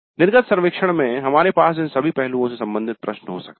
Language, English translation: Hindi, So we can have in the exit survey questions related to all these aspects